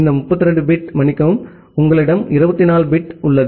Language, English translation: Tamil, Out of this 32 bit sorry you have 24 bit